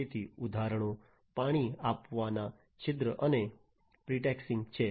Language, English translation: Gujarati, So, examples are watering hole and pretexting